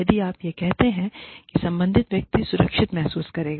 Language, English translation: Hindi, If you say this, the person concerned will feel, safe